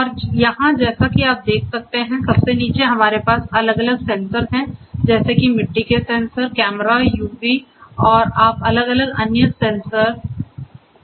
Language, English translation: Hindi, And here as you can see at the very bottom what we have are the different sensor such as the soil sensors, cameras, UAVs and you could talk about different other sensors